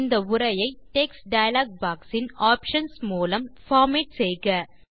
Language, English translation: Tamil, Format this text using the options in the Text dialog box